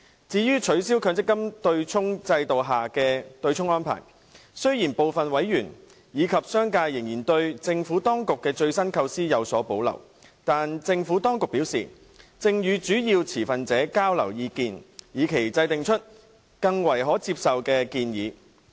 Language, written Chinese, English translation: Cantonese, 至於取消強制性公積金制度下的對沖安排，雖然部分委員及商界仍然對政府當局的最新構思有所保留，但政府當局表示，正與主要持份者交流意見，以期制訂出較為可接受的建議。, As for the abolition of the offsetting arrangement under the Mandatory Provident Fund system some members and the business sector still had reservation about the Administrations latest conception . But the Administration advised that it was exchanging views with major stakeholders in the hope of formulating a more acceptable proposal